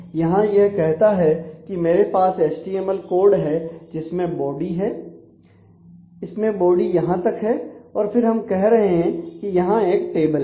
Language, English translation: Hindi, So, here it says that I have HTML which has a body and the body expanse this much and then we are saying that there is a table